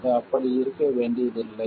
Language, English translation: Tamil, It doesn't have to be like that